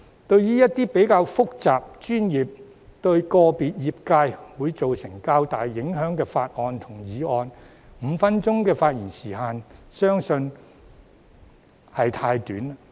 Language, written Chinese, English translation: Cantonese, 對於一些較複雜、專業及對個別業界會造成較大影響的法案和議案 ，5 分鐘的發言時限相信是太短。, Speaking of some bills and motions that are relatively complicated involve professional knowledge and have a greater impact on individual industries and trades I believe a speaking time limit of five minutes is too short